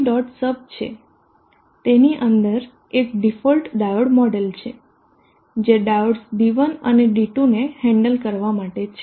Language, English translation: Gujarati, Sub in that one inside that one is diode model d fault diode model which is suppose to handle these diodes D1 and D2